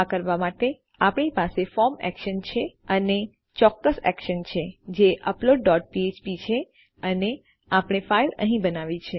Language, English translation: Gujarati, To do this we have a form action and we have a specific action which is upload dot php and weve created our file here